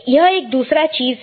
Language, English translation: Hindi, There is another thing